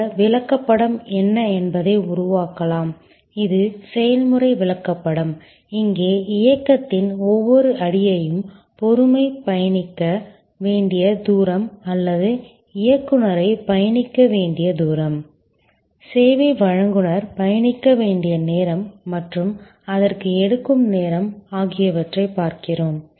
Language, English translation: Tamil, And can create what is this chart, this is the process chart here we are looking at each step the motion, the distance the patience has to travel or the operative has to travel, service provider has to travel and the time it takes